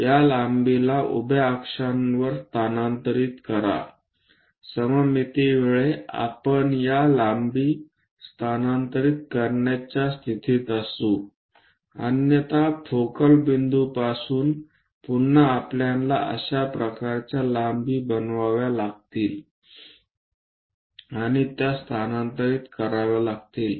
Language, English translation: Marathi, Transfer these lengths on the vertical axis because of symmetry we will be in a position to transfer these lengths, otherwise from focal point again we have to make such kind of lengths and transfer it